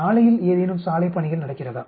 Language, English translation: Tamil, Is there any road work going on the road